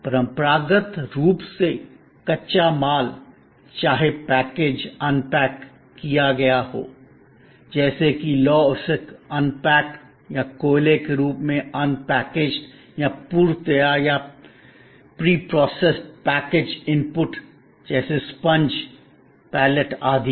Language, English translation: Hindi, Traditionally, raw materials, whether package unpackaged, like iron ore as unpackaged or coal as unpackaged or pre prepared or preprocessed packaged inputs like say a sponge pallets, etc